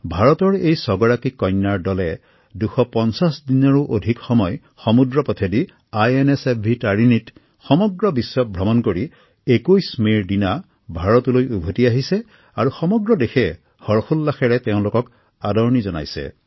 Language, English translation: Assamese, These six illustrious daughters of India circumnavigated the globe for over more than 250 days on board the INSV Tarini, returning home on the 21st of May